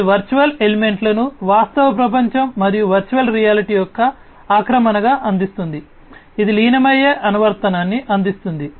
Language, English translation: Telugu, It delivers virtual elements as an in as an encrust of the real world and virtual reality it offers immersive application